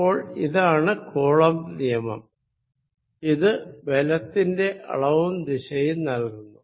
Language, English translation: Malayalam, So, these are this is the Coulomb's law, it gives the magnitude as well as the direction of the force